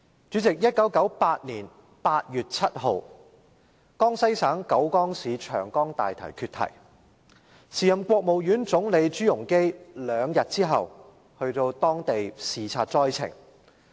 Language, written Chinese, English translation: Cantonese, 主席，在1998年8月7日，江西省九江市長江大堤決堤，時任國務院總理朱鎔基兩天後到當地視察災情。, President on 7 August 1998 the dam on the Yangtze River in Jiujiang Jiangxi Province was breached and ZHU Rongji the then Premier of the State Council arrived at the site two days later for inspection